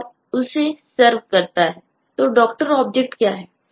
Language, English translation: Hindi, so what is the doctor object